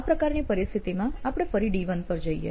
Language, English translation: Gujarati, Again for this situation we can go back to D1